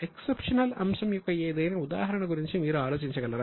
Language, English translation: Telugu, Can you think of any example of exceptional item